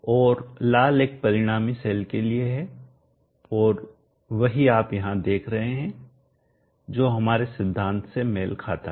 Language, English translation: Hindi, And the red one is for the result in cell and that is what you are saying here which matches with our theory